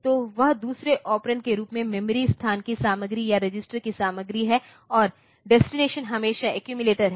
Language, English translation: Hindi, So, that is the content of a register or contact of memory location as the second operand, and the destination is always the accumulator